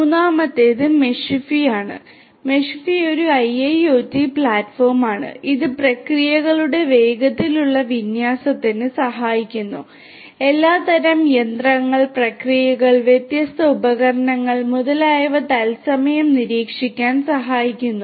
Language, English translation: Malayalam, The third one is Meshify; Meshify is an IIoT platform that helps in faster development faster deployment of the processes, helps in real time monitoring of all kinds of machinery, processes, different instruments etc